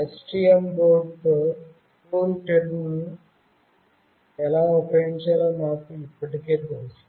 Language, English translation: Telugu, We already know how we have to use CoolTerm with STM board